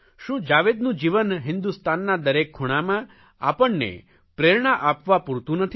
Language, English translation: Gujarati, Is his life not enough to inspire us in every corner of India